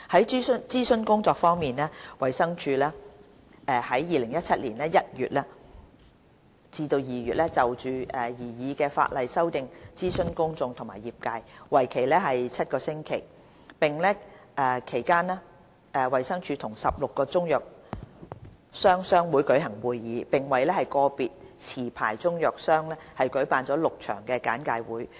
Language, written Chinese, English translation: Cantonese, 在諮詢工作方面，衞生署在2017年1月至2月就擬議修正案諮詢公眾和業界，為期7星期。其間，衞生署與16個中藥商商會舉行會議，並為個別持牌中藥商舉辦了6場簡介會。, On consultation the Department of Health DH conducted a seven - week public and trade consultation from January to February 2017 on the proposed legislative amendments during which a meeting with 16 Chinese medicines traders associations and 6 briefing sessions for individual licensed Chinese medicines traders were convened